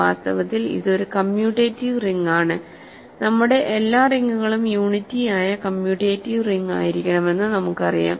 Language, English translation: Malayalam, In fact, it is a commutative ring in we remember all our rings are supposed to be commutative with unity